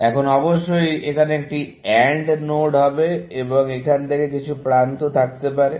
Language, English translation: Bengali, Now, this, of course, would be an AND node here, and I could have edges coming from here